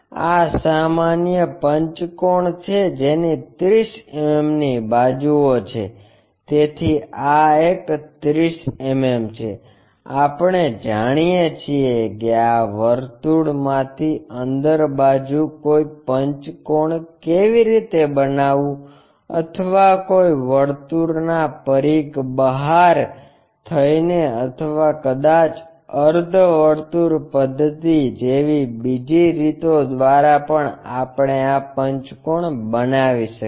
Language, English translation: Gujarati, This is the typical pentagon it has 30 mm sides, so this one is 30 mm we know how to construct a pentagon from this inscribing a circle or circumscribing a circle or perhaps the other way like from semi circle method also we can construct this pentagon